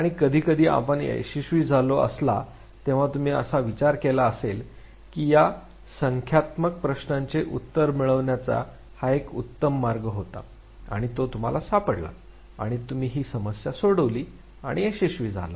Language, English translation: Marathi, And sometimes you must have succeeded that you thought that this could be how the problem this numerical problem could have been sorted out you do so and you succeed